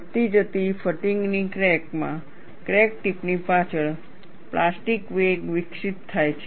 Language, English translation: Gujarati, In a growing fatigue crack, behind the crack tip, a plastic wake is developed